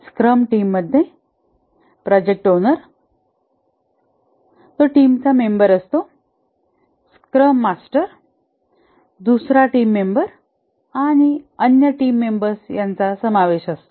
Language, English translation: Marathi, In a scrum team, there are the product owner who is one of the team members, the scrum master who is another team member and the other team members